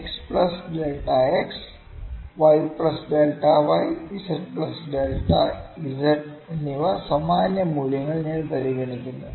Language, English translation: Malayalam, I consider the same values, x plus delta x y plus delta y z plus delta z